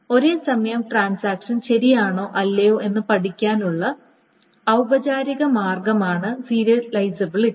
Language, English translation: Malayalam, Serializability is a formal way of studying whether concurrent transactions are correct or not